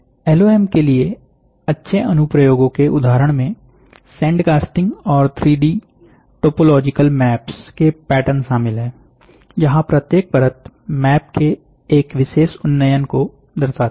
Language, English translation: Hindi, Example of good application for LOM includes patterns for sand casting and 3 D topological maps, where each layer represents a particular elevation of the map